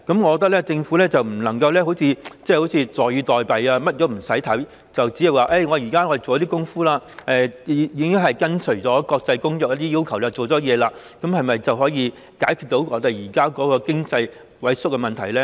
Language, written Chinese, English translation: Cantonese, 我認為政府不可坐以待斃，甚麼數據都不看，只懂說現在已做了工夫，並已跟隨國際公約的要求，這樣是否便能解決現時經濟萎縮的問題呢？, I think the Government should not sit on its hands . It should not ignore the statistics and do nothing except saying that it has done what it should and adopted the requirements set out in the international convention . Can this address the problems of the present withering economy?